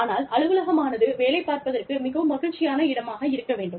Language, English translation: Tamil, But, the office needs to be, a happy place, to work in